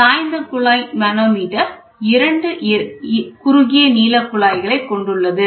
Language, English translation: Tamil, Incline tube manometer is an inclined tube manometer comprises two limbs